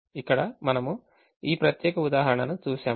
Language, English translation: Telugu, so let us look at this example